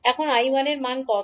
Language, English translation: Bengali, Now what is the value of I1